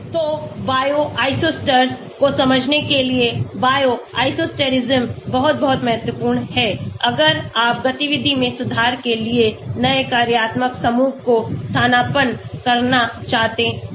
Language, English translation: Hindi, So, Bio isosteres understanding the Bio isosterism is very, very important,, if you want to substitute new functional groups to improve the activity